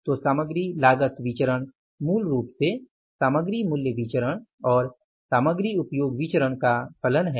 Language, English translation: Hindi, So, material cost variance is basically the function of material price variance and the material usage variance, right